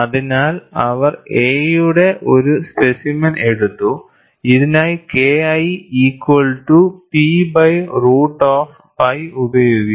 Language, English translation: Malayalam, So, they took a specimen A, for which K 1 equal to P by root of pi a